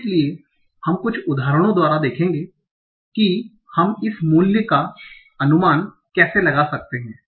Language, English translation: Hindi, So we will see in some by some simple example how can we estimate this value